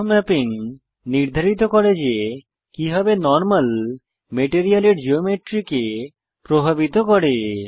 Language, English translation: Bengali, Bump mapping determines how the normal of the texture affects the Geometry of the material